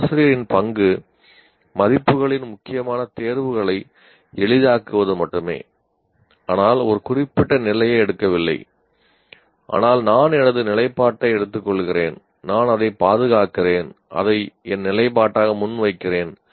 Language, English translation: Tamil, A teacher's role is only to facilitate critical examinations of values but not taking a particular position, but I take my position and I defend it and present it as my position